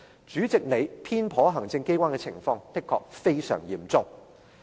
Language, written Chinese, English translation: Cantonese, 主席，你偏頗行政機關的情況，的確非常嚴重。, President your favouritism towards the executive is extremely serious indeed